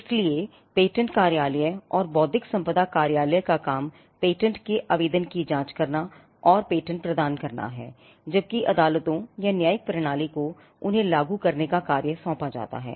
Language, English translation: Hindi, So, the patent office or the intellectual property office, the task of the intellectual property office is to scrutinize the patent application and grant a patent, whereas, the courts or a judicial system is entrusted with the task of enforcing them